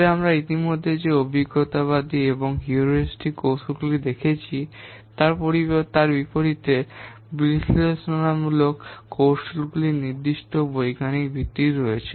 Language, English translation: Bengali, But unlike the empirical and heuristics techniques that we have already seen the analytical techniques, they have certain scientific basis